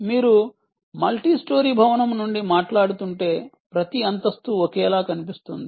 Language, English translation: Telugu, if you are talking from a multistory building, you may have to do